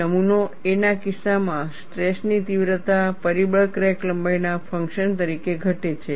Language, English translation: Gujarati, In the case of specimen A, stress intensity factor decreases as the function of crack length